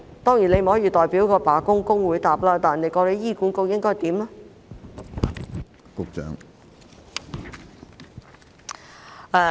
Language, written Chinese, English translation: Cantonese, 當然，你不能代表罷工的工會回答，但局長覺得醫管局應如何處理呢？, Of course you cannot reply on behalf of the staff union which organized the strike but Secretary how should HA deal with it in your opinion?